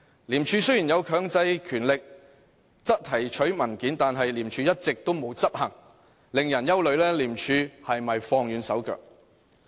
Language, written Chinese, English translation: Cantonese, 廉署雖有強制權力提取文件，但一直沒有執行，令人憂慮廉署是否放輕了手腳。, As ICAC has so far stopped short of exercising its power of requiring the turning in of documents people are worried that it may have slacked its efforts